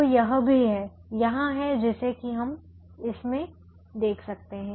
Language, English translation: Hindi, so that is also there that we can see in this